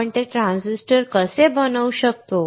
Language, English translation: Marathi, How we can fabricate those transistors